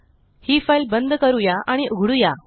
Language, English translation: Marathi, Let us close and open this file